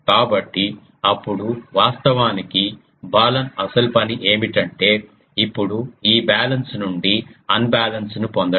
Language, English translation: Telugu, So, Balun then what it actually is job is now to make this um balanced to unbalanced this unbalanced comes